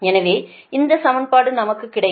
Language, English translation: Tamil, so this equation we will get